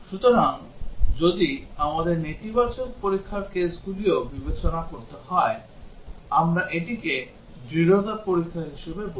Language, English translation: Bengali, So, if we have to consider the negative test cases also, we call it as robustness testing